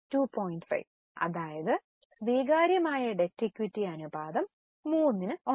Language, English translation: Malayalam, That means acceptable debt equity ratio is 3